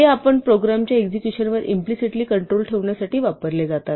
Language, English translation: Marathi, These are implicitly used to control the execution of our program